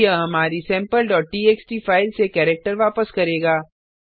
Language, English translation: Hindi, Now, it will return a character from our Sample.txt file